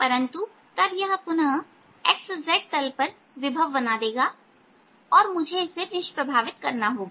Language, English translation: Hindi, but this then creates a potential on the x z plane again and i got to neutralize them